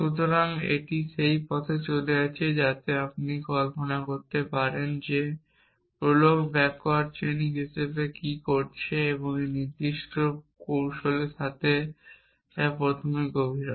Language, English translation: Bengali, So, it is going down that path so you can visualize what prolog is doing as backward chaining and with a particular strategy which is depth first